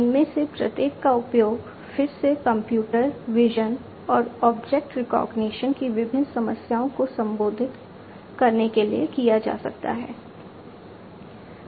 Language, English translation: Hindi, Each of these can be used to address again different problems of computer, vision, and also object recognition